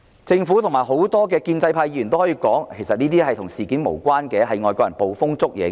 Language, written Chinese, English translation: Cantonese, 政府和眾多建制派議員可能聲稱，其實這件事件與"一國兩制"無關，只是外國人捕風捉影。, The Government and many pro - establishment Members may claim that the incident has nothing to do with one country two systems and foreigners are purely making accusation on hearsay